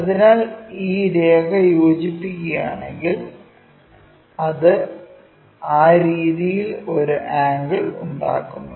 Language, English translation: Malayalam, So, if we are joining this line, it makes an angle in that way